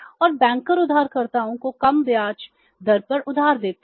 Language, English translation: Hindi, So bank will earn the low rate of interest